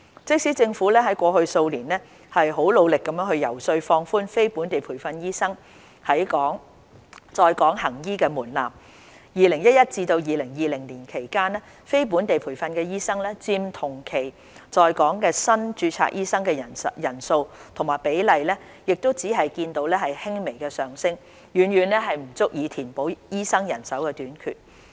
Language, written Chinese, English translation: Cantonese, 即使政府過去數年努力遊說放寬非本地培訓醫生在港行醫的門檻 ，2011 年至2020年間非本地培訓醫生佔同期在港新註冊醫生的人數及比例亦只見輕微上升，遠遠不足以填補醫生人手短缺。, Even with the Governments lobbying effort to relax the threshold for NLTDs to practise in Hong Kong over the past few years the number and percentage of NLTDs among all newly registered doctors from 2011 to 2020 have only slightly increased and are far from sufficient to fill the shortfall